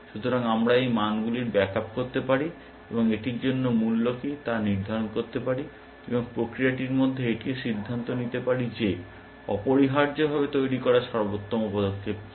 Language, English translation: Bengali, So, we can back up these values, and determine what is the value for that, and in the process also decide what is the best move to make essentially